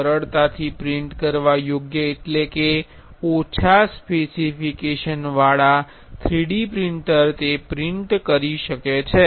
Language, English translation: Gujarati, Easily printable means a 3D printer with a low specification can print the print that